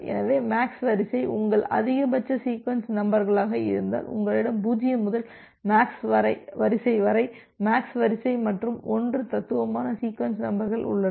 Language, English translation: Tamil, So, if MAX sequence is your maximum sequence numbers then you have MAX sequence plus 1 distinct sequence numbers from 0 to up to MAX sequence